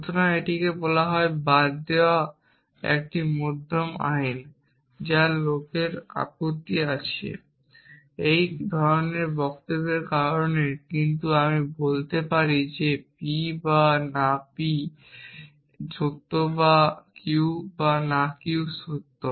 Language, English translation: Bengali, So, it is called law of excluded middle essentially which some people object to, because of statements like this, but I can say that p or not p is true or q or not q is true